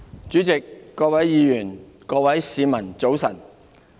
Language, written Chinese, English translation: Cantonese, 主席、各位議員、各位市民，早晨。, President Honourable Members and fellow citizens good morning